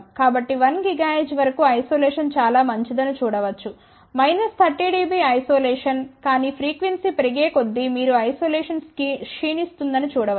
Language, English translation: Telugu, So, one can see that isolation is very good up to about 1 gigahertz which is about minus 30 dB isolation, but as frequency increases you can see that isolation degrades